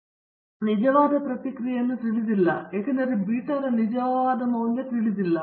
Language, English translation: Kannada, So, we do not know the true response because we do not know the true value of beta